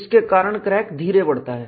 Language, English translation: Hindi, This causes crack to proceed slowly